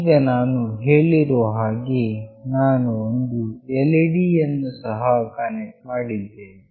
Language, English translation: Kannada, Now as I said I have also connected an LED